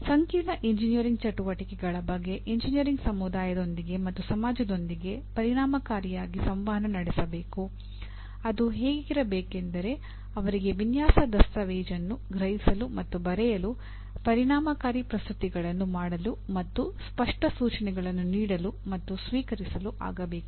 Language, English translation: Kannada, Communicate effectively on complex engineering activities with the engineering community and with society at large such as being able to comprehend and write effective reports and design documentation, make effective presentations and give and receive clear instructions